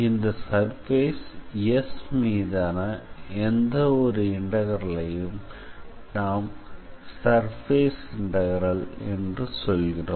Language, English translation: Tamil, So, any integral which is to be evaluated over a surface say S is called a surface integral